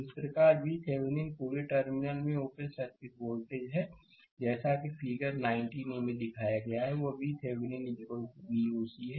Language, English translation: Hindi, Similarly, thus V Thevenin is the open circuit voltage across the terminal as shown in figure 19 a; that is V Thevenin is equal to V oc right